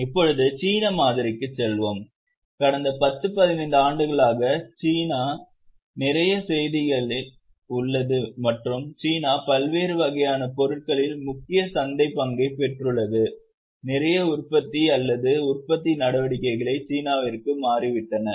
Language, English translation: Tamil, We know that for last 10, 15 years, China is a lot in news and China has acquired major market share in various types of commodities, lot of production or manufacturing activity has shifted to China